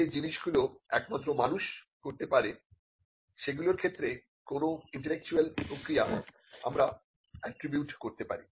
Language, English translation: Bengali, What is an intellectual process can be attributed to things that are done strictly by human beings